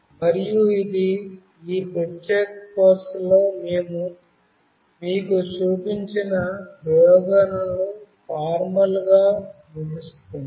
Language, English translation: Telugu, And this actually ends formally the experiments that we have shown you in this particular course